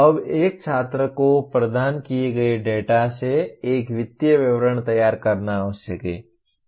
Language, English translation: Hindi, Now a student is required to prepare a financial statement from the data provided